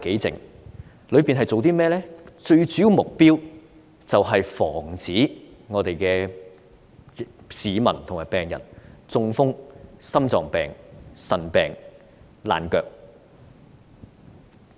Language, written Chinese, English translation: Cantonese, 最主要的目標是防止市民和病人中風、患心臟病、腎病和爛腳。, The main objective of my duties is to prevent members of the public and patients from having stroke heart disease kidney disease and foot ulcers